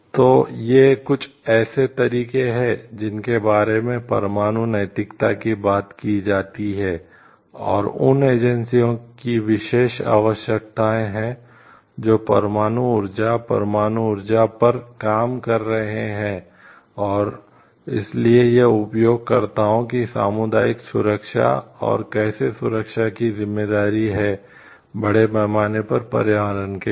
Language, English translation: Hindi, So, these are some of the ways in which like which talks of like nuclear ethics and, these are some of the ways which talks of the nuclear ethics and special requirements of like agencies who are working with the nuclear power, nuclear energy and so, the responsibility for the safety of the community safety of the users and also how to protect for the environment at large